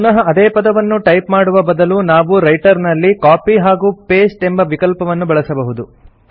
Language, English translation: Kannada, Instead of typing the same text all over again, we can use the Copy and Paste option in Writer